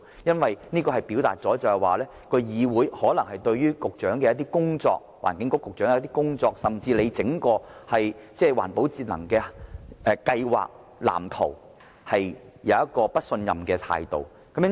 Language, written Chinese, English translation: Cantonese, 消費者或會以為，議會可能對環境局局長的工作，甚至整個環保節能計劃和藍圖持不信任的態度。, Consumers may even assume that the legislature may adopt an attitude of distrust toward the work of the Secretary for the Environment and even the overall plan and blueprint in respect of environmental protection and energy saving